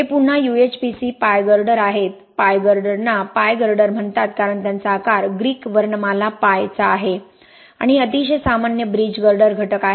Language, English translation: Marathi, These are again UHPC Pi girders, Pi girders are called Pi girders because they have a shape of the Greek alphabet Pi and these are very common bridge girder elements